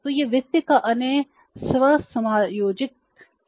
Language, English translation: Hindi, So, this is another self adjusting source of finance